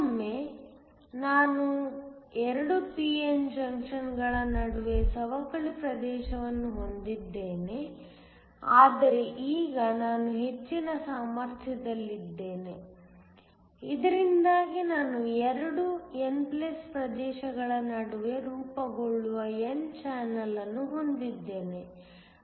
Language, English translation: Kannada, Once again, I have a depletion region between the 2 p n junctions, but now I am at a higher potential, so that I have an n channel that forms between the 2 n+ regions